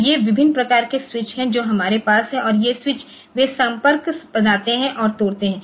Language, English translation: Hindi, So, these are the different types of switches that we have and these switches they make and break contact